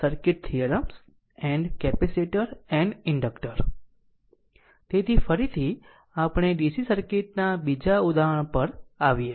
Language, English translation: Gujarati, So again we come to another example looked for DC circuit